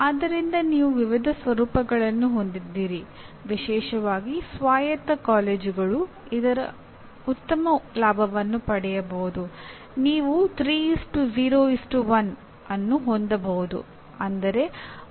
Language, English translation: Kannada, So you have variety of formats available especially the autonomous colleges can take a great advantage of this like you can have 3:0:1